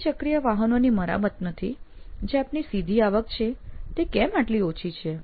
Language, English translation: Gujarati, Why is your direct revenue from automobile servicing so low